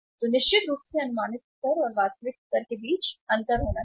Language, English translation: Hindi, So certainly there ought to be a difference between the estimated level and the actual level